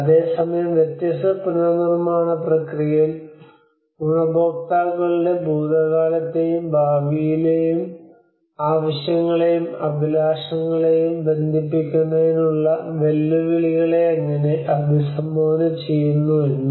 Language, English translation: Malayalam, At the same time how different rebuilding processes have addressed the challenges to connect both past and future needs and aspirations of the beneficiaries